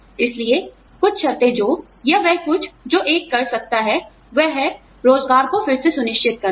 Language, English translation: Hindi, So, some conditions that, or somethings that, one can do is, one can re assure employment